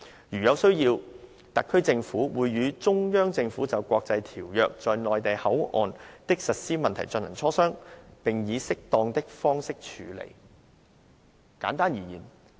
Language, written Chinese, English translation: Cantonese, 如有需要，特區政府會與中央政府就國際條約在'內地口岸區'的實施問題進行磋商，並以適當的方式處理。, Where necessary the HKSAR Government and the CPG would engage in consultations on the implementation of international treaties in the MPA and handle the matter as appropriate